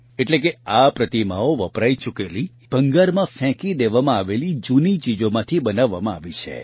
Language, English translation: Gujarati, That means these statues have been made from used items that have been thrown away as scrap